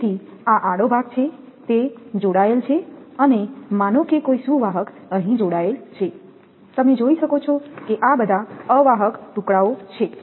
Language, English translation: Gujarati, So, this is the cross arm, it is connected and suppose a conductor is connected here, you can see these are all the insulated pieces